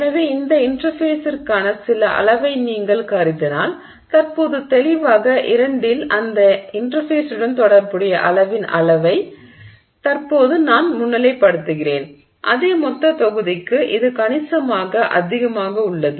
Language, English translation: Tamil, So, if you assume some volume for this interface, clearly in case 2 that which I am just currently highlighting, the amount of volume associated with that interface is significantly high for the same total volume